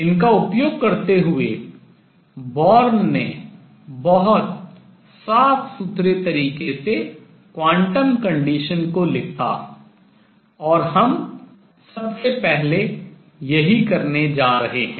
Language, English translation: Hindi, Using these Born wrote the quantum condition in a very neat way and that is what we are going to do first